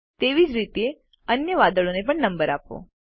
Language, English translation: Gujarati, Similarly number the other clouds too